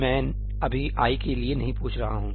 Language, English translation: Hindi, I am not asking for i right now